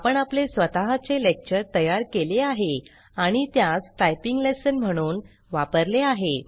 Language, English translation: Marathi, We have created our own lecture and used it as a typing lesson